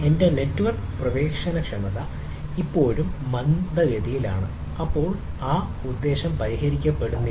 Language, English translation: Malayalam, my network accessibility is still slow, then purpose are not solved